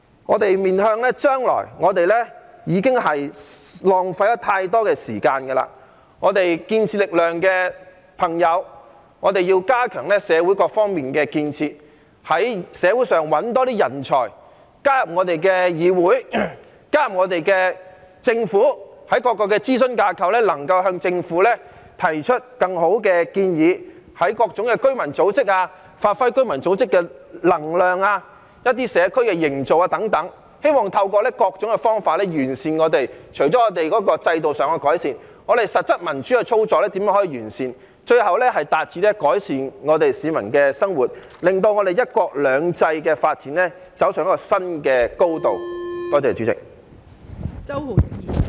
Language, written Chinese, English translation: Cantonese, 我們要面向將來，我們已浪費了太多時間，我們建設力量的朋友要加強社會各方面的建設，在社會上找更多人才，加入議會和政府，在各個諮詢架構向政府提出更好的建議，在各種居民組織中發揮能量，凝聚社區等，希望透過各種方法完善社會，除了制度上的改善，也完善我們的實質民主操作，最後達致改善市民的生活，令"一國兩制"的發展走上一個新的高度。, We must identify more talents in society to enter the legislature and the Government put forward better suggestions to the Government in various advisory bodies play a role in various residents organizations unite the community etc . in the hope of improving our society through various means . Apart from institutional improvements the actual operation of democracy should also be improved to achieve the ultimate aim of improving the life of the people so as to take the development of one country two systems to a new height